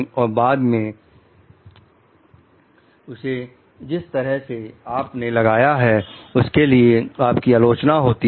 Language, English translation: Hindi, Later on you are criticized for the way you installed it